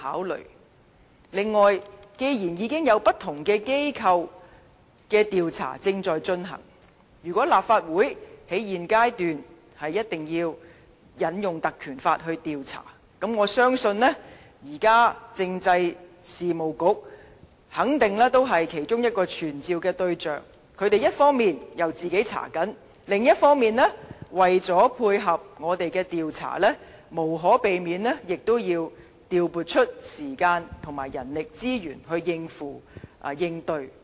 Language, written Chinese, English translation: Cantonese, 此外，既然已經有不同機構的調查正在進行，如果立法會在現階段必須引用《立法會條例》調查，我相信現時政制及內地事務局肯定是其中一個傳召的對象，一方面，他們正在調查，另一方面，為了配合我們的調查，無可避免亦要調撥時間和人力資源來應對。, Furthermore since the investigations of various bodies are already under way if we invoke the PP Ordinance to commence an investigation at this stage then the existing officials of the Constitutional and Mainland Affairs Bureau will have to be summoned . They will have to carry out their own investigation on the one hand and allocate time and manpower to cooperate with us in our investigation on the other